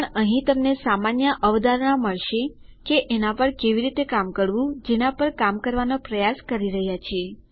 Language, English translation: Gujarati, But you will get the general idea here on how to work on what we are trying to do